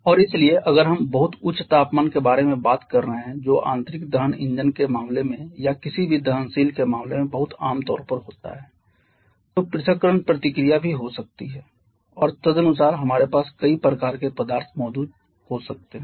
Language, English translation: Hindi, And therefore if we are talking about very high temperature which is very commonly the case in case of internal combustion engines or in case of any combustor the dissociation reaction is may also be there and accordingly we may have several kind of substance present on the product side as well